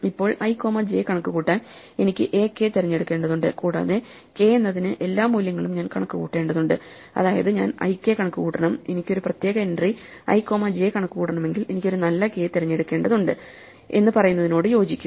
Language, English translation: Malayalam, Now, in order to compute i comma j, I need to pick a k, and I need to compute for that k all the values I mean I have to compute i k, and so it turns out that this corresponds to saying that if I want to compute a particular entry i comma j, then I need to choose a good k